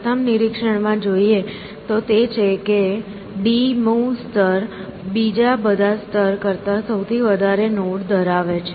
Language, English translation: Gujarati, The first thing to observe, is that is d th layer contains more nodes then all the previous layers combined